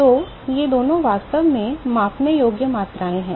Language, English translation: Hindi, So, these two are actually measurable quantities